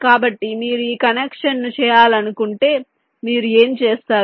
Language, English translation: Telugu, so if you want to make this connection, what to do